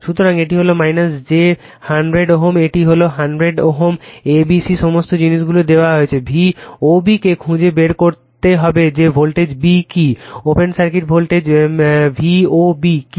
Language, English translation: Bengali, So, this is minus j 100 ohm this is one 100 ohm and A B C all these things are given you have to find out V O B that what is the voltage b open circuit voltage V O B